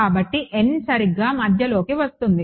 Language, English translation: Telugu, So, the n comes to the middle alright